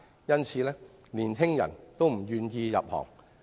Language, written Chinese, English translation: Cantonese, 因此，年輕人均不願意入行。, Hence most young people are not willing to pursue a career in the sector